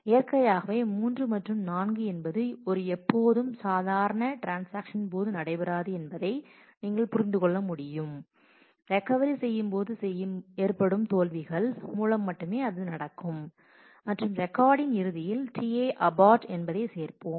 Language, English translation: Tamil, Naturally, you can you can you can understand that 3 and 4 will not happen in a normal course of transaction, it will happen only when the failures have happened during recovery and at the end we will add T i abort record to the log